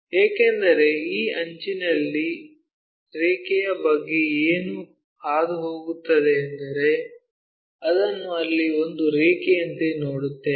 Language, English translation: Kannada, Because, this edge what about the line passes through that that we will see it as a line there